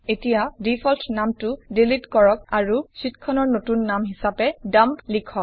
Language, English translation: Assamese, Now delete the default name and write the new sheet name as Dump